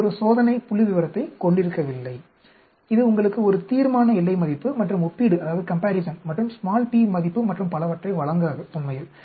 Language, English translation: Tamil, It does not have a test statistics, it does not give you a critical value and comparison and p value and so on actually